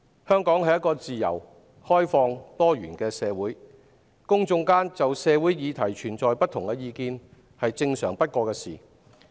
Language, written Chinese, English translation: Cantonese, 香港是一個自由、開放、多元的社會，公眾就社會議題存在不同意見是正常不過的事。, Hong Kong is a free open and pluralistic society . It is normal for the public to have different opinions on social issues